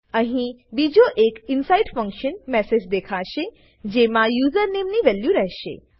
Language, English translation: Gujarati, Here another message inside function will be displayed, along with the value of username